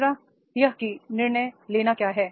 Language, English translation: Hindi, Third is what is the decision making